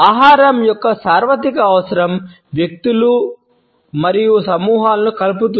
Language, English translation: Telugu, The universal need for food ties individuals and groups together